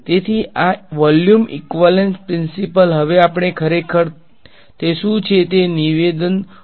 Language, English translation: Gujarati, So, this volume equivalence principle what now we can actually have a statement what it is